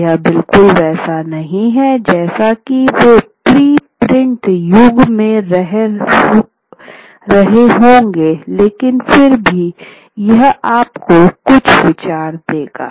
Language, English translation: Hindi, So, so it is not exactly the way they would have been in the pre print era, but still it is, it would give you some bit of idea